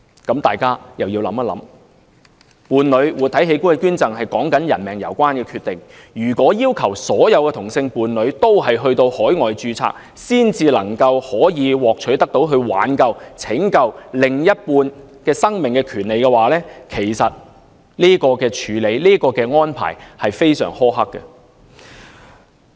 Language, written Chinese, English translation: Cantonese, 大家又要想一想，伴侶活體器官捐贈，說的是人命攸關的決定；如果要求所有同性伴侶都要到海外註冊，才能夠獲取拯救另一半生命的權利，這種處理和安排其實非常苛刻。, We should give it some further thought . The living organ donation from a partner is a life - critical decision . If all the homosexual couples are required to register overseas before they can acquire the right to save the life of their better halves such approach and arrangement are very harsh indeed